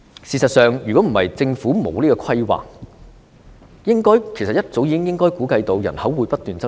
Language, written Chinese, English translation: Cantonese, 事實上，如果不是政府欠缺規劃，應該早已估計到人口會不斷增長。, As a matter of fact if it is not because of lack of planning the Government should have predicted the growth in population much earlier